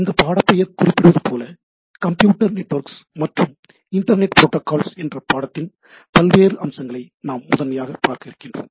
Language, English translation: Tamil, So, as the name suggest, we will be primarily looking around all sorts of aspects encompassing Computer Network and Internet Protocols, right